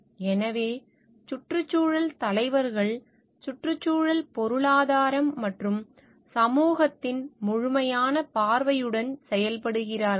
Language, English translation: Tamil, So, environmental leaders act with an holistic view of the environment economy and society and then they